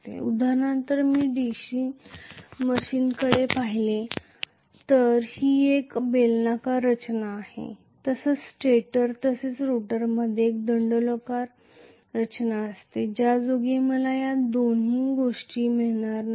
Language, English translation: Marathi, For example if I look at the DC machine generally it is a cylindrical structure the stator as well as the rotor will have fairly a cylindrical structure so in which case I am not going to get these two